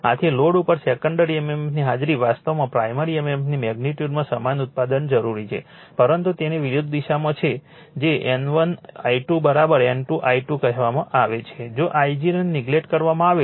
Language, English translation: Gujarati, Hence on load the presence of secondary mmf actually a necessitates the production of primary mmf equal in magnitude, but oppose in opposite in direction that is your N 1 I 2 that is equal to minus your what you call N 2 I 2,if your I 0 is neglected then I 2 dash is equal to I 1